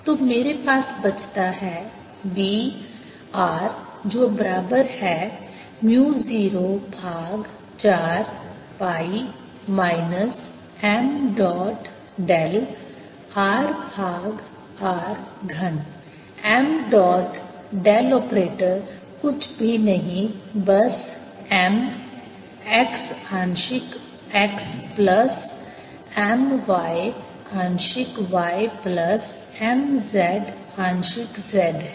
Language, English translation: Hindi, r is equal to mu naught over four pi, minus m dot del operating on r over r cubed, where m dot del operator is nothing but m x partial x plus m y, partial y plus m z, partial z